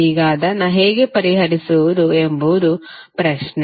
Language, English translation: Kannada, Now, the question is that how to solve it